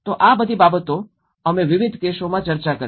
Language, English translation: Gujarati, So all these things, we did discussed in different cases